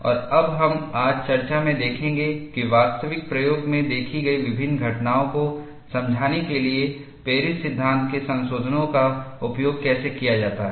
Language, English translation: Hindi, And now, we will see in the discussion today, how modifications of Paris law are utilized to explain various phenomena observed in actual experimentation